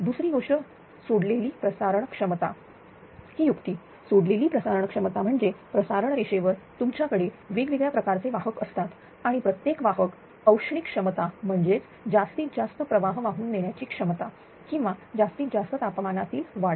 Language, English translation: Marathi, Second thing a release transmission capacity is idea release transmission capacity means that in the transmission line that you have different type of conductors right, you have different type of conductors and every every conductor that is thermal capability that is the maximum current carrying capacity or maximum temperature rise